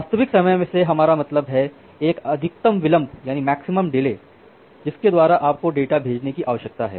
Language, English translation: Hindi, So, by real time we mean that there is a maximum delay by which you need to send the data